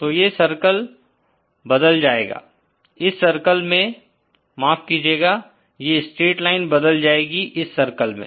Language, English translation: Hindi, So, this circle gets converted to this circle, I beg your pardon, this straight line gets converted to this circle